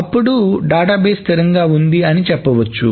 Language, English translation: Telugu, So the database should be in the consistent state